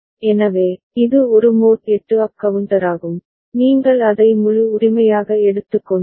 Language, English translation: Tamil, So, it is a mod 8 up counter, if you take it as a whole right